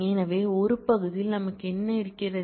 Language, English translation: Tamil, So, what do we have in one part